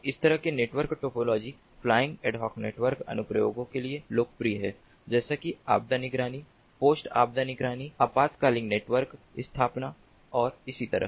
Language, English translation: Hindi, so this sort of network topology, flying ad hoc networks, is popular for applications such as disaster monitoring, post disaster monitoring, emergency network establishment and so on